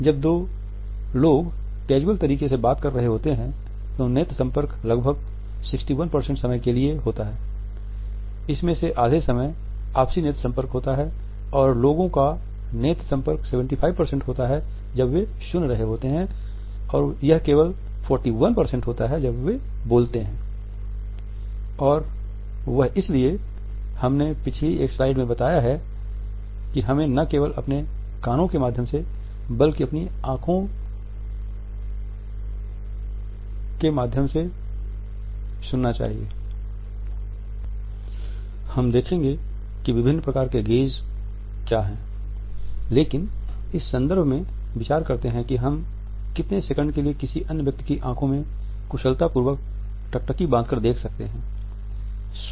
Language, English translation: Hindi, When two people are talking in a casual manner eye contact occurs about 61% of the time about half of which is mutual eye contact and people make eye contact 75% of the time while they are listening and 41% of the time while speaking and that is why in one of the previous slides we have talked about, that we should be able to listen through our eyes and not only through our ears, but the length of the gaze also varies